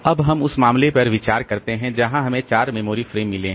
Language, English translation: Hindi, Now we consider the case where we have got 4 memory frames